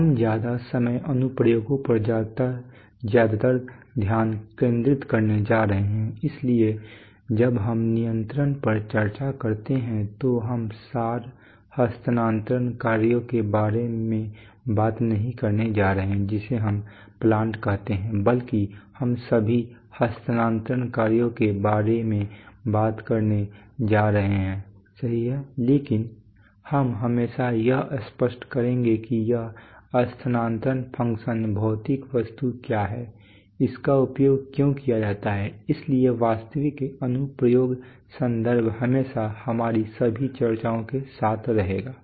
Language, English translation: Hindi, We are also most of the time we are going to be very focused on on applications so when we discuss control we are not going to talk about abstract transfer functions which we call plants rather than that we are we are going to talk about transfer functions all right but we will always make it explicit that’s what this transfer function stands for what is the physical object, why is it used, so the so the actual application context will will will always accompany all our discussions